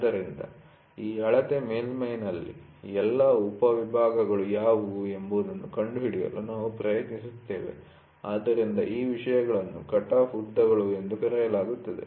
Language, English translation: Kannada, So, in this measuring surface, we try to find out what are all the sub segments, so those things are called as cutoff lengths